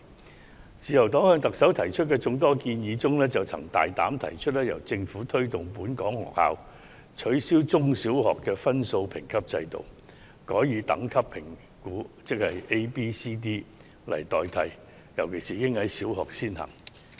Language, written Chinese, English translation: Cantonese, 在自由黨向特首提出的眾多建議中，我們曾大膽提出由政府推動本港中、小學取消分數評級制度，改以 A、B、C、D 的等級作出評估，特別是應在小學先行。, Among the proposals put forward by the Liberal Party to the Chief Executive the bolder one is for the Government to push for the abolition of the point rating system in local primary and secondary schools and replace it with a grade rating system . In particular such a system should first be implemented in primary schools